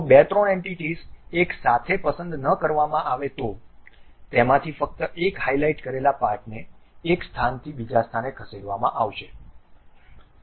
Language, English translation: Gujarati, If two three individual entities, if they are not selected together, only one of that highlighted portion will be moved from one location to other location